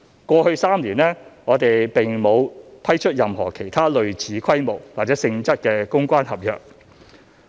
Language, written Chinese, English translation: Cantonese, 過去3年，我們並沒有批出任何其他類似規模或性質的公關合約。, In the past three years we did not award any other PR service contracts of similar scale or nature